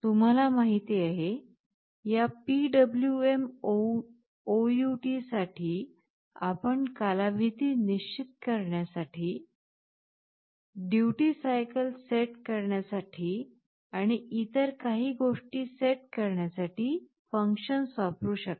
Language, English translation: Marathi, In the beginning, for this PwmOut, you already know that there are some functions we can use to set the period, to set the duty cycle, and so on